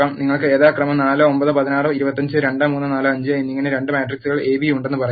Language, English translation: Malayalam, Let us say you have two matrices A and B which are 4 9 16 25, and 2 3 4 5 respectively